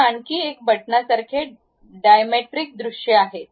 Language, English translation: Marathi, There is one more button like Dimetric views